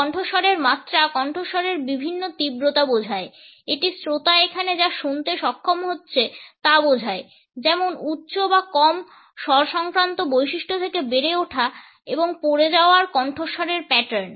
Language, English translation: Bengali, Pitch refers to the varying intensity of the voice It refers to what the listener is capable to here is high or as low tonal properties to rising and falling voice patterns